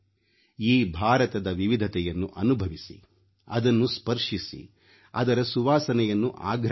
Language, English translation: Kannada, We should feel India's diversity, touch it, feel its fragrance